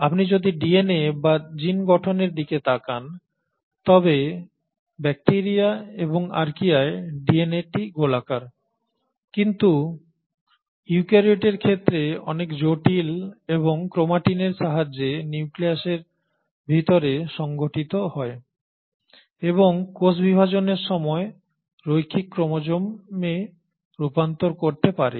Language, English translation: Bengali, If you were to look at DNA or the gene structure, the DNA is circular in bacteria and Archaea, but in case of eukaryotes is far more complex and with the help of chromatin is organised inside the nucleus and the can at the time of cell division convert to linear chromosomes